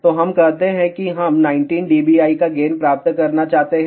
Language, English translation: Hindi, So, let us say we want to have a gain of 19 dBi